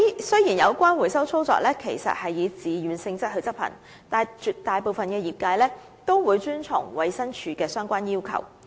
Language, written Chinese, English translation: Cantonese, 雖然有關回收操作其實是以自願性質執行，但絕大部分業界均會遵從衞生署的相關要求。, Although recalls are carried out on a voluntary basis the overwhelming majority of industry practitioners will comply with the relevant requests of DH